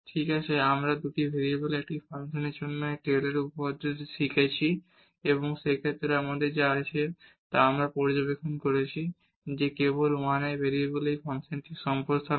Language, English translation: Bengali, Well so, we have learned this Taylor’s theorem for a function of two variables and in this case what we have what we have observed that it is just the extension of these functions of 1 variable